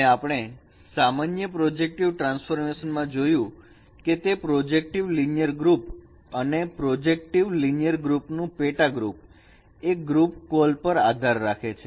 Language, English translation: Gujarati, And we have seen that in general project transformations, they belong to a group called project linear group and a subgroup of projective linear group is a fine group